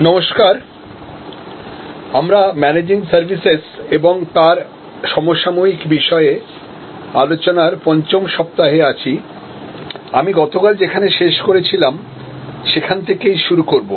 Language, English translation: Bengali, Hello, so we are in week 5 of Managing Services, Contemporary Issues, I will continue from where I left of yesterday